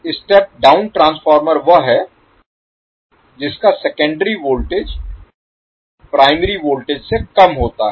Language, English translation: Hindi, Step down transformer is the one whose secondary voltages is less than the primary voltage